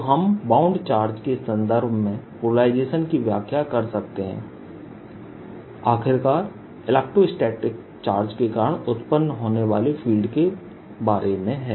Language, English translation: Hindi, so polarization and how we can interpret polarization in terms of bound charges after all, electrostatics is all about fields being produced by charges